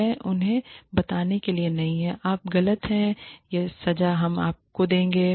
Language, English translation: Hindi, It is not to tell them, you are wrong, this is the punishment, we will give you